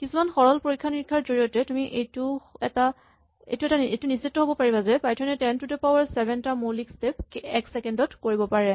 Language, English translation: Assamese, So, by some simple hand experiments you can validate that Python can do about 10 to the 7 basic steps in a second